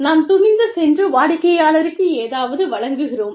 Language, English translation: Tamil, And, we go ahead and deliver, something to the client